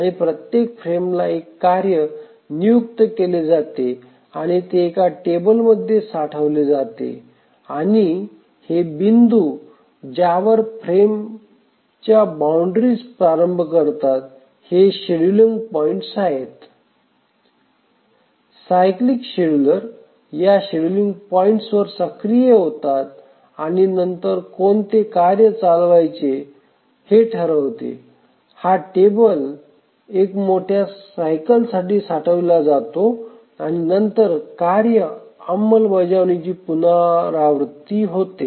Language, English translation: Marathi, And to each frame a task is assigned and that is stored in a table and these points at which the frames start the frame boundaries these are the scheduling points The cyclic scheduler becomes active at this scheduling points and then decides which task to run and then the table is stored for one major cycle and then the task execution is repeated